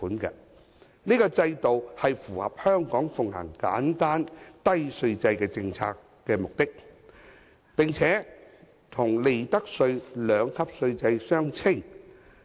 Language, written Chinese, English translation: Cantonese, 此制度符合香港奉行簡單低稅制的政策目的，並且與利得稅的兩級稅率相稱。, This regime aligns with the policy intent to maintain the simple and low tax system of Hong Kong and is commensurate with the two - tiered profits tax rates regime